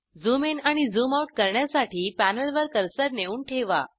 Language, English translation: Marathi, To zoom in and zoom out, place the cursor on the panel